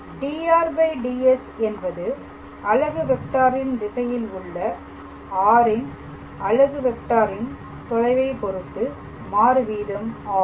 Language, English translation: Tamil, So, therefore, dr dS basically the rate of change of r with respect to the distance is a unit vector in the direction of this unit vector a cap